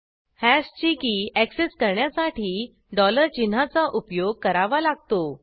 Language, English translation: Marathi, Note: To access key of hash, one has to use dollar sign